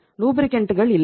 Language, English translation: Tamil, You do not have the lubricants